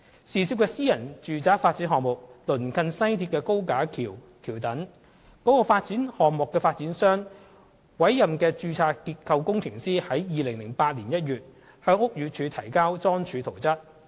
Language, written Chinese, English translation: Cantonese, 涉事的私人住宅發展項目鄰近西鐵高架橋橋躉，所以，該發展項目的發展商委任的註冊結構工程師於2008年1月向屋宇署提交樁柱圖則。, The private residential development project involved is in close proximity to the viaduct piers of the West Rail Link so the registered structural engineer appointed by the project developer submitted a piling plan to BD in January 2008